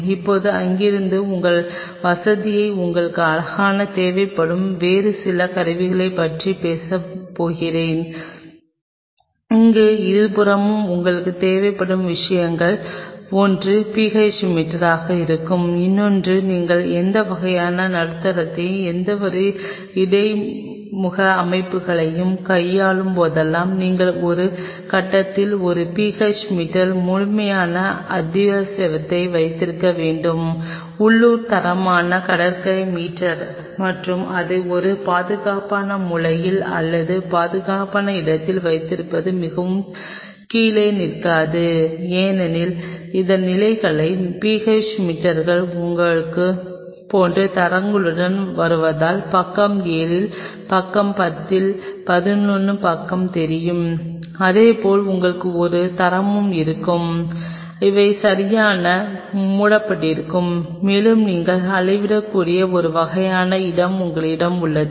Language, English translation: Tamil, One of the things which you will be needing in both sides here also here also will be PH meter because when I whenever you are dealing with any kind of medium any kind of buffer system, you have to have a PH meter absolute essential by a grid local quality beach meter and keep it in a safe corner or safe place very does not fall down put in a stand and ensure that its standards because PH meters comes with standards like you know 11 page on page 7 page 10 likewise you will have a standard in a they are kept properly closed and you have a kind of spot where you can measured